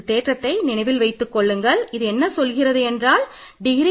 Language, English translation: Tamil, So, let me prove this theorem this says that degree is multiplicative